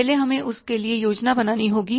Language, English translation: Hindi, First we have to plan for that